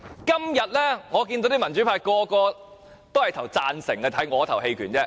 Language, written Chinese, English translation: Cantonese, 今天我看到大部分民主派投贊成票，只得我投棄權票而已。, Today I see that the majority of the pan - democrats will support the Secretary with the exception of me who is going to abstain